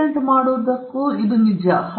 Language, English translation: Kannada, So, this is true for patenting too